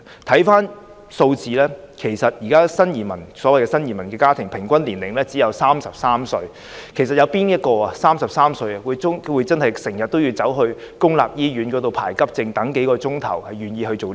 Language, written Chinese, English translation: Cantonese, 從數字上看，現時的新移民家庭的平均年齡只有33歲，試問有誰會在33歲便經常出入公立醫院輪候急症，等候數小時呢？, Numerically the average age of members in families with new immigrants is 33 years at present . I wonder who at the age of 33 would frequently queue up and wait several hours for Accident and Emergency services in public hospitals